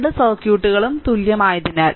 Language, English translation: Malayalam, since the 2 circuits are equivalent right